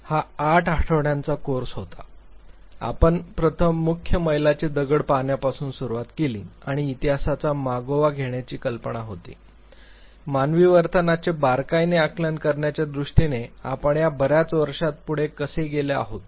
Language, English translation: Marathi, It was a 8 week course, we first began with the looking at the major mile stones, and the idea was to trace the history, how actually we have proceeded in these many years in terms of understanding the nuances of human behavior